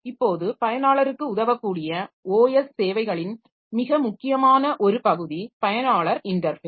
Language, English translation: Tamil, Now the OS services that are helpful to the user, so one very important part of it is the user interface